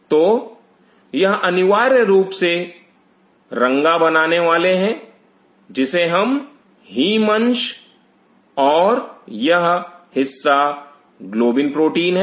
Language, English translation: Hindi, So, this is essentially is the color imparting one call the haem fragment and this part is the globin protein